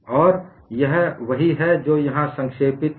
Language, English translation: Hindi, And that is what is summarized here